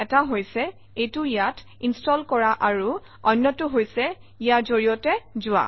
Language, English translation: Assamese, One is too install it here and the other one is to go through this